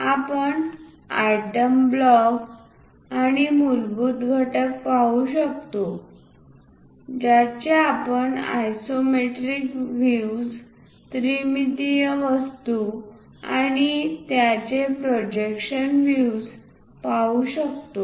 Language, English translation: Marathi, we can see the title block and the basic components we can see the isometric views, the three dimensional objects and their projectional views we can see it